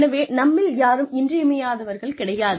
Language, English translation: Tamil, So, none of us are indispensable